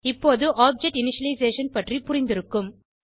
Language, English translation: Tamil, Now, you would have understood what object initialization means